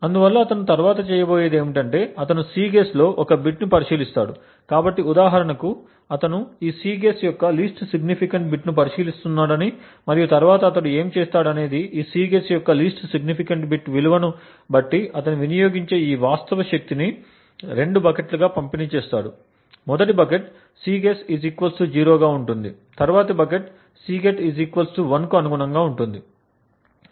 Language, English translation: Telugu, So what he would next do is that he would consider one single bit in this Cguess, so for example let us say that he is considering the least significant bit of this Cguess and then what he would do is that depending on the value of this least significant bit of Cguess he would distribute these actual power consumed into two buckets, the first bucket corresponds to the Cguess being 0, while the next bucket corresponds to the Cguess equal 1